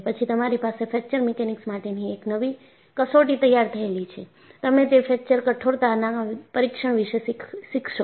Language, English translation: Gujarati, Then, you have a new test to apply in Fracture Mechanics; you learn that in Fracture Toughness Testing